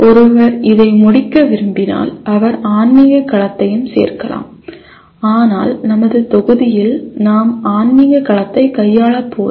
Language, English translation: Tamil, If one wants to complete this he can also add spiritual domain but in our module we are not going to be dealing with spiritual domain